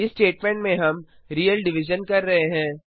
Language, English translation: Hindi, In this statement we are performing real division